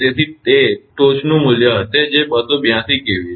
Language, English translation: Gujarati, So, it will be peak value that is 282 kV